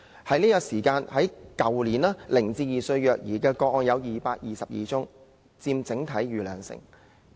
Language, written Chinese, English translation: Cantonese, 去年接獲0至2歲的虐兒個案有222宗，佔整體數目逾兩成。, There were 222 child abuse cases involving children aged 0 to 2 years old reported last year accounting for over 20 % of the total number